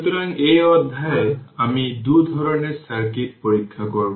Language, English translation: Bengali, So, in this chapter, we will examine your 2 types of circuit